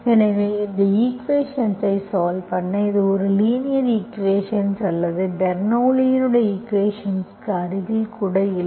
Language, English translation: Tamil, So we solve this equation, though it does not, it is not even near close to linear equation or Bernoulli s equation